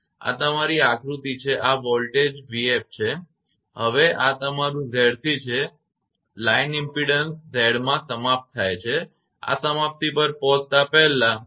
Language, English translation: Gujarati, This is your diagram this is the voltage v f this is the voltage v f now this is your Z c and line is terminated impedance Z right this is up to this, this is before arrival at termination